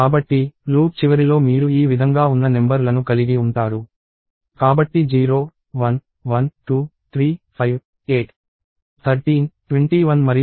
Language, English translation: Telugu, So, at the end of the loop you will have numbers of this form; so 0, 1, 1, 2, 3, 5, 8, 13, 21 and 34